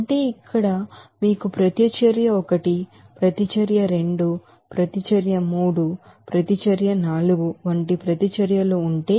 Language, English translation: Telugu, That means here if you have more than one reactions like reaction one, reaction two, reaction three, reaction four like this